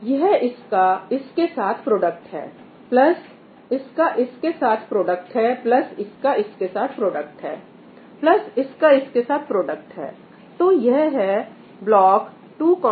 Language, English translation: Hindi, So, it is the product of this with this, plus the product of this with this, plus the product of this with this, plus the product of this with this that is what this 2 comma 2 th block is